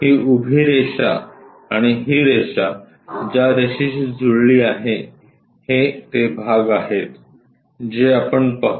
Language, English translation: Marathi, This vertical line and this one which is mapped with this line, these are the portions what we will see